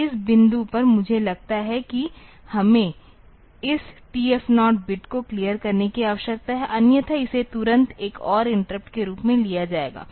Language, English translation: Hindi, So, at this point I think we need to have another clearing of this TF 0 bit; otherwise it will be taken as another interrupt immediately